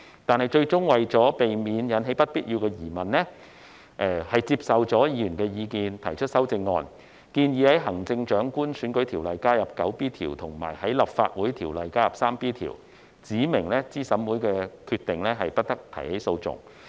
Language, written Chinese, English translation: Cantonese, 但是，最終為了避免引起不必要的疑問，政府接受了議員的意見提出修正案，建議在《行政長官選舉條例》加入第 9B 條，以及在《立法會條例》加入第 3B 條，指明對資審會的決定，不得提起訴訟。, However in the end in order to avoid unnecessary doubts the Government accepted Members advice and proposed amendments to add section 9B in the Chief Executive Election Ordinance and section 3B in the Legislative Council Ordinance to specify that no legal proceedings may be instituted in respect of a decision made by CERC